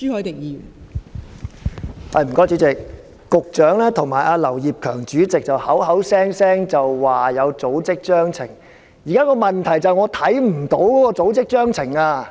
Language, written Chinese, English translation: Cantonese, 代理主席，局長與劉業強主席口口聲聲說有組織章程，現時的問題是我看不到有組織章程。, Deputy President the Secretary and Mr Kenneth LAU have repeatedly claimed that there are Constitutions but the present problem is that I cannot take a look at the Constitution